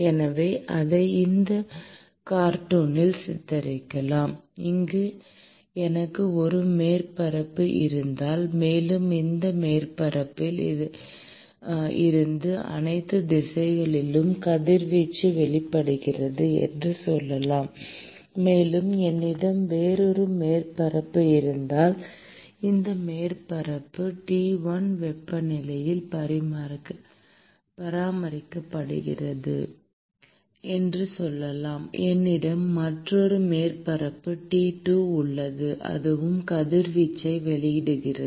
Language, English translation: Tamil, So, it can be depicted in this cartoon, where if I have a surface which is present here; and let us say that the radiation is emitted from this surface in all directions; and if I have another surface let us say this surface is maintained at temperature T 1; and I have another surface T 2 and that also emits radiation